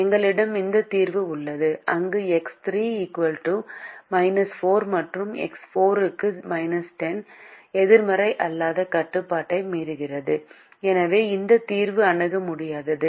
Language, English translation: Tamil, we have this solution where x three equal to minus four and x four equal to minus ten violates the non negativity restriction and therefore this solution is infeasible